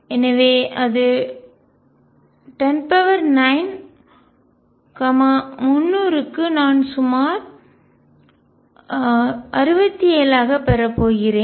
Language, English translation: Tamil, So, that is 10 raise to 9, and for 300 I am going to have about 6 7